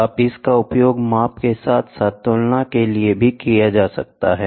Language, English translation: Hindi, You can use this for measurement as well as comparison